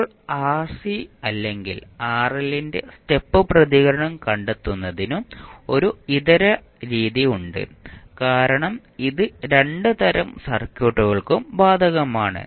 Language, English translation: Malayalam, Now, there is an alternate method also for finding the step response of either RC or rl because it is applicable to both of the types of circuits